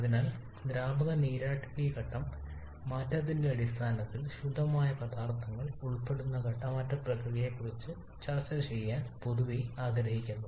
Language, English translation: Malayalam, And therefore we generally like to discuss about the phase change process involving pure substances mostly in terms of the liquid vapour phase change